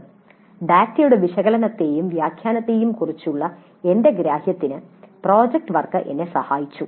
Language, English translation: Malayalam, Project work helped me in my understanding of analysis and interpretation of data